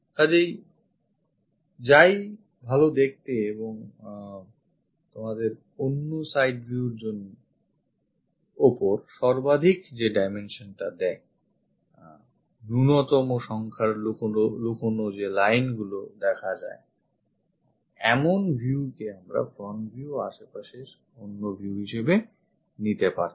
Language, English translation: Bengali, So, whatever good looks and gives you maximum dimensions on the other side views minimum number of hidden lines that view we could pick it as a front view and adjacent view